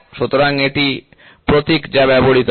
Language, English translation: Bengali, So, this is the symbol which is used